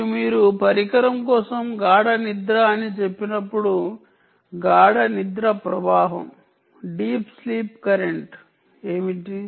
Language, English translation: Telugu, and when you say deep sleep for a device, what is the deep sleep current